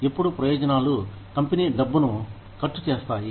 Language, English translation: Telugu, Now, benefits cost the company money